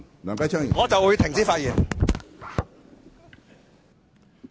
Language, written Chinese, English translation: Cantonese, 我現在便停止發言。, I just stop speaking right now